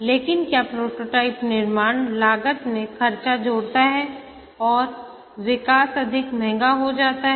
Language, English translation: Hindi, But does the prototype construction add to the cost and the development becomes more costly